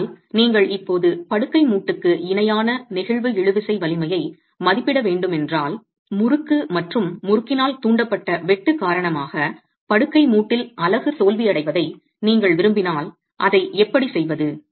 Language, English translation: Tamil, But if you were to estimate the flexual tensile strength now parallel to the bed joint, if you want failure of the unit to happen in the bed joint with failure due to torsion and shear induced due to torsion, how do you do that